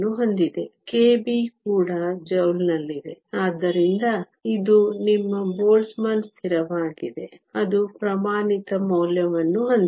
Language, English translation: Kannada, K b is also in joules, so it is your Boltzmann constant that has a standard value